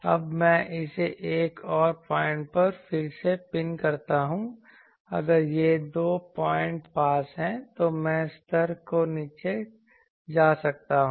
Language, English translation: Hindi, Now, I pin it again another point so, if these 2 points are nearby then I can make the level go down